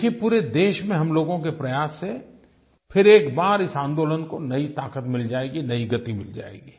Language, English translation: Hindi, You will see that with our joint efforts, this movement will get a fresh boost, a new dynamism